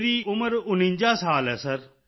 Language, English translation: Punjabi, I am forty nine years old, Sir